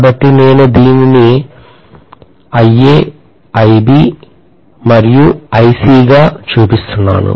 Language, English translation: Telugu, So I am showing this as IA, IB and IC